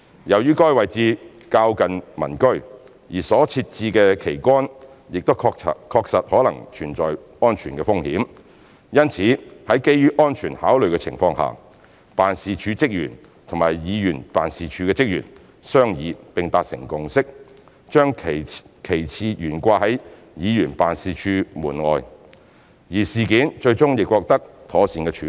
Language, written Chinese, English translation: Cantonese, 由於該位置較近民居，而所設置的旗桿亦確實可能存在安全風險，因此在基於安全考慮的情況下，辦事處職員與議員辦事處職員商議並達成共識，將旗幟懸掛在議員辦事處門外，而事件最終亦獲得妥善處理。, As the concerned location is quite close to the residential units the flag pole installed could have possibly imposed safety risks . Therefore for the sake of safety the staff of HKHA and the ward office reached a consensus after deliberation and agreed to hang the flags outside the ward office . The matter had been properly settled